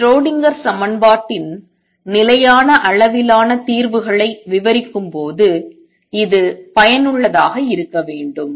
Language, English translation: Tamil, It should be useful when we describe stationary sates solutions of the Schrodinger equation